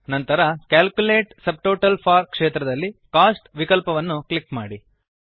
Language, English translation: Kannada, Next, in the Calculate subtotals for field click on the Cost option